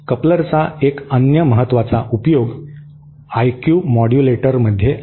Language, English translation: Marathi, One other application important application of a coupler is in IQ modulators